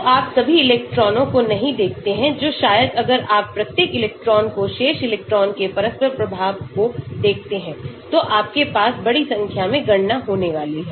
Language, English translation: Hindi, So, you do not look at all the electrons which maybe; if you look at each electron interacting with the remaining electron, you are going to have huge number of calculations